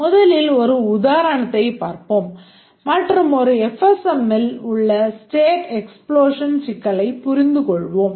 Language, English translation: Tamil, Let's first look at an example and understand the state explosion problem in a f sm